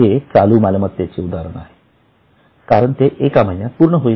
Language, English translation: Marathi, It will be a current liability because it is going to be settled in just one month